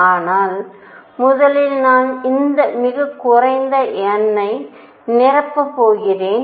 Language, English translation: Tamil, But first I am going to fill for all these lowest n